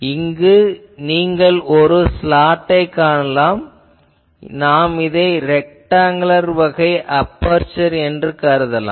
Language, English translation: Tamil, And so here what happens actually you see this is a slot, actually we can consider this is a rectangular type of aperture